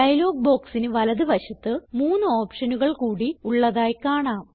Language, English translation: Malayalam, There are three more options on the right hand side of the dialog box